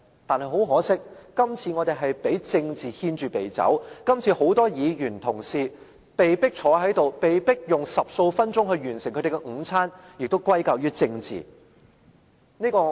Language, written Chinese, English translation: Cantonese, 但很可惜，今次我們被政治牽着鼻子走，今次很多議員同事被迫坐在這裏，被迫以十數分鐘完成他們的午餐，也是歸咎於政治。, But unfortunately politics has led us by the nose . Hence many colleagues are forced to sit here and to finish their lunches in 10 minutes or so . This is also caused by politics